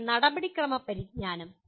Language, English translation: Malayalam, Then procedural knowledge